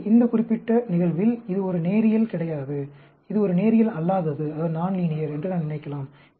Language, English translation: Tamil, So, in this particular case, I may think, it is not a linear, it is a non linear